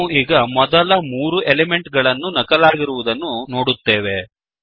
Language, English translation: Kannada, As we can see, only the first three elements have been copied